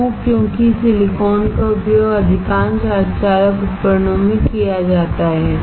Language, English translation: Hindi, Why, because silicon is used in most of the semi conductor devices